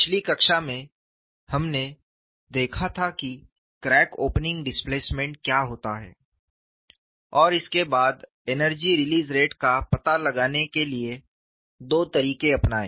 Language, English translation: Hindi, In the last class, we had looked at what is crack opening displacement, followed by two methodologies to find out the energy release rate